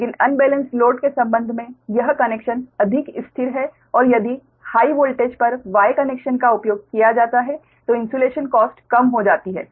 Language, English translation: Hindi, but this connection is more stable with respect to the unbalanced load and if the y connection is used on the high voltage side, insulation cost are reduced